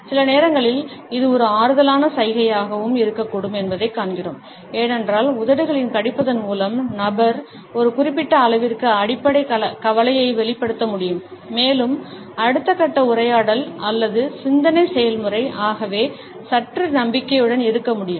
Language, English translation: Tamil, At moments we find that it can be a comforting gesture also, because by biting on the lips the person is able to give vent to the underlying anxiety to a certain extent and the next phase of conversation or thought process can therefore, be slightly more confident